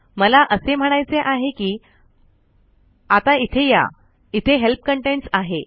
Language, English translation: Marathi, What I mean is lets come here, there is Help, Contents